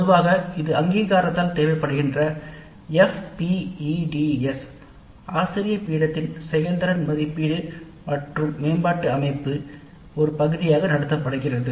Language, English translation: Tamil, Usually this is conducted as a part of F PATS faculty performance evaluation and development system that is required by the accreditation